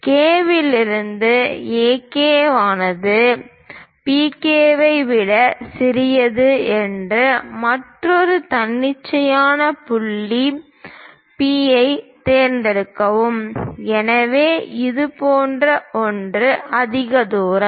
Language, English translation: Tamil, From K point, pick another arbitrary point P such that AP is smaller than PK; so something like this is greater distance